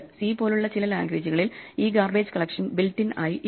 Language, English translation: Malayalam, Some languages like C do not have this garbage collection built in